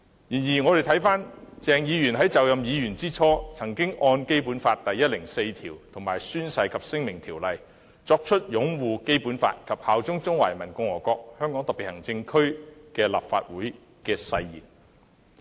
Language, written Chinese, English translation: Cantonese, 然而，我們看回鄭議員在就任議員之初，曾按《基本法》第一百零四條及《宣誓及聲明條例》作出擁護《基本法》，以及效忠中華人民共和國香港特別行政區立法會的誓言。, However we can look back at the time when Dr CHENG assumed office he had taken an oath under Article 104 of the Basic Law and the Oaths and Declarations Ordinance to uphold the Basic Law and swear allegiance to the Hong Kong Special Administrative Region HKSAR of the Peoples Republic of China